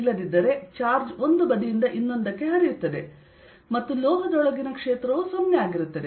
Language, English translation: Kannada, otherwise charge is flow from one side to the other and the field inside the metal is zero